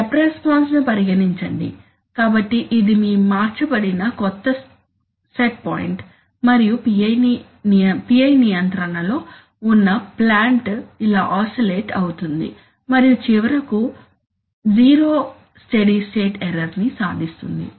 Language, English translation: Telugu, So, suppose you are having, consider the step response, so this is your new set point which has been changed and the plant under PI control is oscillating like this and then finally achieving zero steady state error